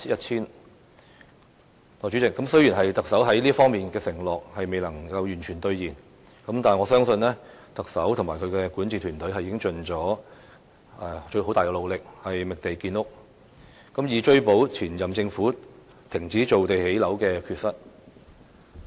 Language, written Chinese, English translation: Cantonese, 代理主席，雖然特首在這方面的承諾未能夠完全兌現，但我相信特首和他的管治團隊已盡最大努力，覓地建屋，以追補前任政府停止造地建屋的缺失。, Deputy President even though the Chief Executive is unable to fulfil all his promises in this regard I still believe the Chief Executive and his governing team have exerted their utmost to find lands for housing construction purpose in an attempt to make up for the shortfall resulting from the inaction of the previous Government in creating land for housing construction purpose